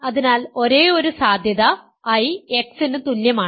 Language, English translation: Malayalam, So, the only possibility is I is equal to X